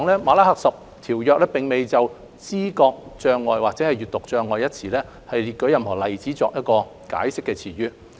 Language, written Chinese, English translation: Cantonese, 《馬拉喀什條約》並無就知覺障礙或閱讀障礙一詞列舉任何例子，以解釋詞意。, The Marrakesh Treaty has not provided any examples for the term perceptual or reading disability to explain its meaning